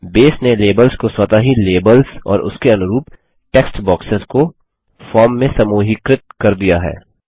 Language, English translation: Hindi, Base automatically has grouped the labels and corresponding textboxes in the form